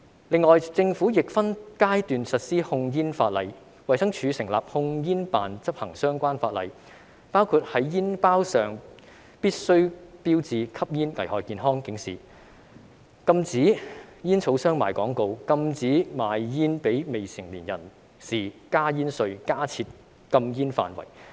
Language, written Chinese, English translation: Cantonese, 此外，政府亦分階段實施控煙法例，衞生署成立控煙酒辦公室執行相關法例，包括在煙包上必須標示吸煙危害健康的警示、禁止煙草商賣廣告、禁止賣煙給未成年人士、增加煙稅、加設禁煙範圍。, Moreover the Government has implemented laws on tobacco control in phases . The Department of Health has set up the Tobacco and Alcohol Control Office TACO to enforce the relevant legislation including the requirements on showing health warnings of smoking on cigarette packets prohibition of tobacco advertising by tobacco companies prohibition of sale of cigarettes to underage persons increasing duty on tobacco and designating no - smoking areas